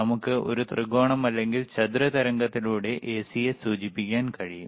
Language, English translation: Malayalam, We can also indicate AC by a triangle or by square wave